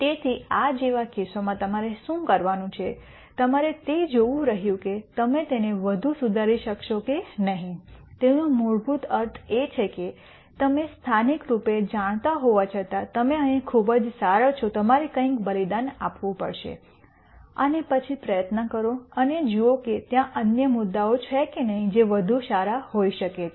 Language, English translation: Gujarati, So, in cases like this what you will have to do is, you have to see whether you can improve it further, that basically means though you know locally you are very good here you have to do some sacrifice and then try and see whether there are other points which could be better